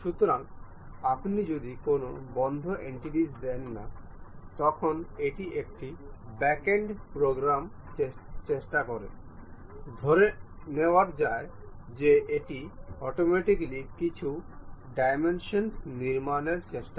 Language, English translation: Bengali, So, if you are not giving any closed entities, it try to have this back end program which automatically assumes certain dimensions try to construct this